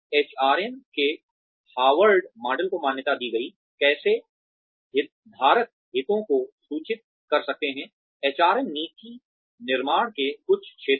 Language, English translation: Hindi, Harvard model of HRM recognized, how stakeholder interests could inform, certain areas of HRM policy formulation